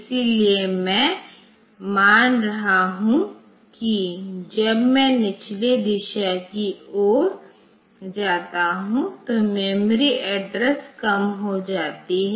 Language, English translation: Hindi, So, I assume that the memory address decreases when I go towards the lower direction